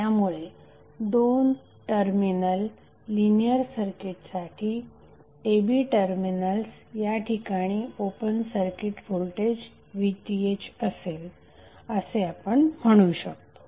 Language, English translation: Marathi, So what we can say that, the linear two terminal circuit, open circuit voltage across terminal a b would be equal to VTh